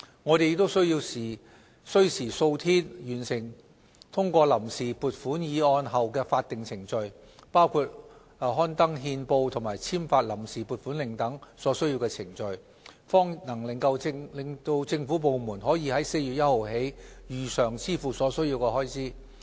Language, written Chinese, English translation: Cantonese, 我們也需時數天完成通過臨時撥款議案後的法定程序，包括刊登憲報及簽發臨時撥款令等所需程序，方能令政府部門可於4月1日起如常支付所需開支。, It also takes some days to complete the statutory procedures after passage of the Vote on Account resolution including the gazettal process and procedures for issuance of the Vote on Account warrant so that the Government can make payments starting from 1 April as usual